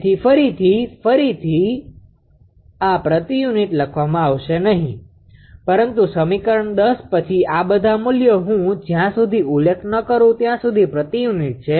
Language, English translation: Gujarati, So, again and again this per unit will not be writternable, but ah equation 10 onwards; all these values unless and until I mention all are in per unit only right